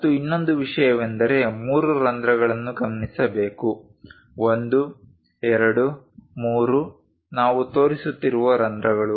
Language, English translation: Kannada, And one more thing one has to notice three holes; 1, 2, 3, holes we are showing